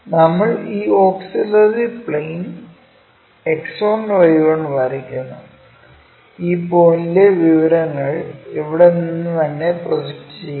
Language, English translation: Malayalam, We draw this auxiliary plane X1Y1; project these point's information's from here all the way